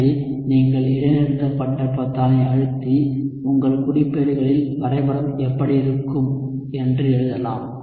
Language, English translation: Tamil, So you can press that pause button and write what the plot will look like in your notebooks